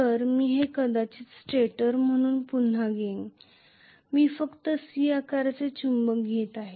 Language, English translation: Marathi, So, let me probably take this as the stator again I am just taking a C shaped magnet